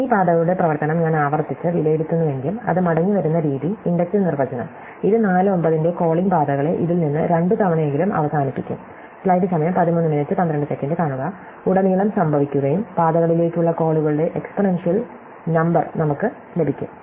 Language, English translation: Malayalam, if I just evaluate this paths function recursively, the way it is written in the inductive definition, it will end up calling paths of ( at least twice from this perspective and this wasteful recomputation will occur throughout and we will get an exponential number of calls to paths